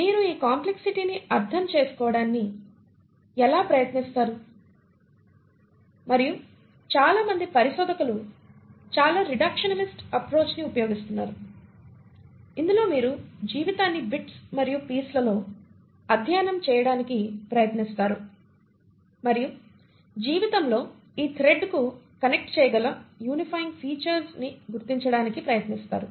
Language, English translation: Telugu, So there is a huge complexity and how do you try to understand this complexity, and most of the researchers use a very reductionist approach, wherein you try to study life in bits and pieces and try to identify the unifying features which can connect to this thread of life